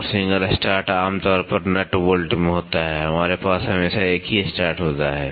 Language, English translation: Hindi, And single start is generally in a nut bolt we always have a single start